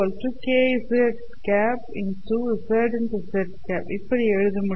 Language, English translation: Tamil, Therefore, we write this as k